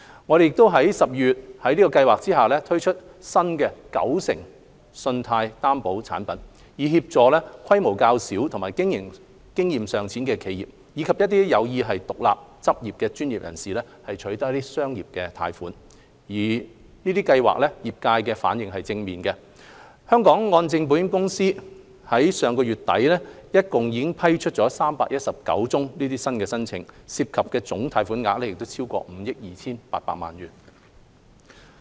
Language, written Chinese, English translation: Cantonese, 我們亦於12月在計劃下推出新"九成信貸擔保產品"，以協助規模較小和經營經驗尚淺的企業，以及有意獨立執業的專業人士取得商業貸款，業界反應正面，香港按證保險有限公司至上月底已批出319宗申請，涉及總貸款額超過5億 2,800 萬元。, We further introduced in December the new 90 % Guarantee Product under SFGS to help smaller - sized enterprises and businesses with relatively less operating experience as well as professionals seeking to set up their own practices to obtain commercial loans . Response from the trade on these schemes has been positive . Up to the end of last month the HKMC Insurance Limited HKMCI has approved 319 applications involving a total loan amount of 528 million